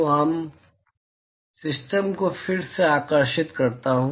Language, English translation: Hindi, So, let me draw the system again